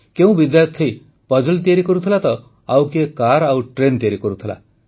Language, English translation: Odia, Some students are making a puzzle while another make a car orconstruct a train